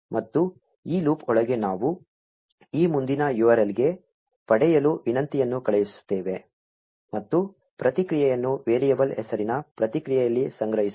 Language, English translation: Kannada, And inside this loop we send a get request to this next URL, and store the response in a variable named response